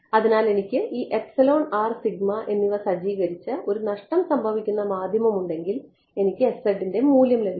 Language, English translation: Malayalam, So, if I had a lossy media where I set this epsilon r and sigma I get the value of s z right